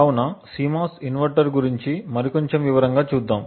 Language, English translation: Telugu, So, let us look a little more in detail about a CMOS inverter